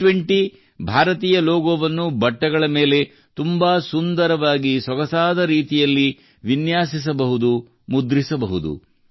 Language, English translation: Kannada, The Indian logo of G20 can be made, can be printed, in a very cool way, in a stylish way, on clothes